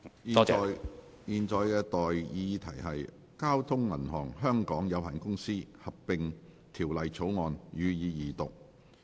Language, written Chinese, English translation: Cantonese, 現在的待議議題是：《交通銀行有限公司條例草案》，予以二讀。, I now propose the question to you That the Bank of Communications Hong Kong Limited Merger Bill be read the Second time